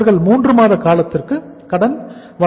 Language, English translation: Tamil, They will be providing the for the period of 3 months